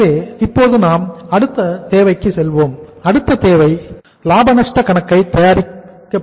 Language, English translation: Tamil, So now we will move to the next requirement and that next requirement was preparation of the profit and loss account